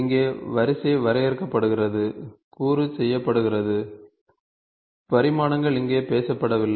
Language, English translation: Tamil, So, here the sequence is defined, the component is made the dimensions are not talked about here